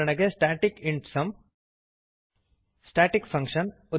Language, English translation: Kannada, static int sum Static function